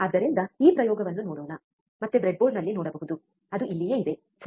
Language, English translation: Kannada, So, let us see this experiment so, again we can see on the breadboard which is right over here, right